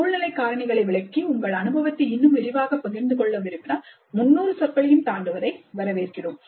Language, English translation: Tamil, If you wish to share your experience in greater detail, explaining the situational factors, you are welcome to exceed 300 words also